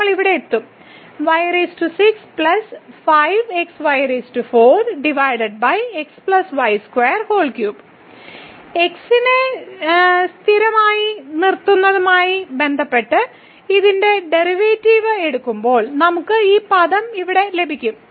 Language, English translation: Malayalam, When we take the derivative of this one with respect to keeping as constant we will get this term here